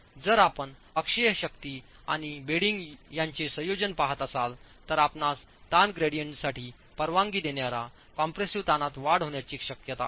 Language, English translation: Marathi, In case you are looking at a combination of axial force and bending, then you have you had the earlier possibility of an increase in the permissible compressive stress accounting for the strain gradient